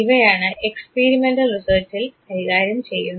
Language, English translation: Malayalam, This is now what is done in the experimental research